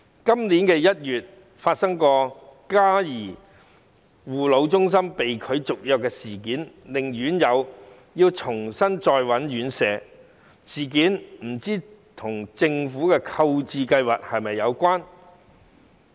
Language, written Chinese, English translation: Cantonese, 今年1月發生嘉頤護老中心被拒續約的事件，令院友要重新尋找院舍，不知事件與政府的購置計劃是否有關？, In January this year after renewal of agreement with Care Services Elderly Centre was refused the residents had to look for places at other elderly centres again . Is this incident related to the Governments purchasing plan?